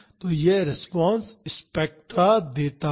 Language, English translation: Hindi, So, this gives the response spectra